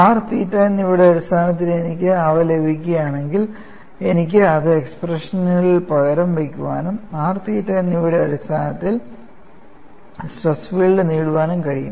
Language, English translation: Malayalam, If I get them in terms of r and theta, I could substitute it in the expressions and get the stress field in terms of r and theta